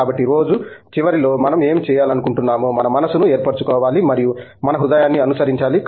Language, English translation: Telugu, So, I think at the end of the day we need to make up our minds what we want to do and we have to follow our heart